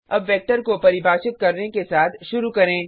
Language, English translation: Hindi, Let us start by defining a vector